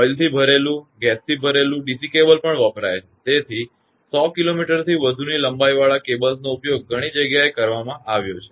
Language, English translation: Gujarati, Oil filled, gas filled DC cables are also used; so, cables having length more than 100 kilometre have been used in many places